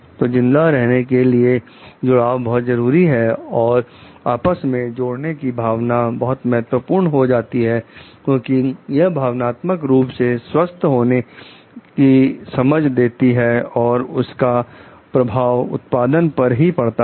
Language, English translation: Hindi, So, attachment is really very important for survival, and a sense of connection is important for like emotional well being and has an impact on productivity